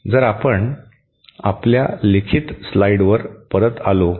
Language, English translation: Marathi, So, if we could come back to our written slides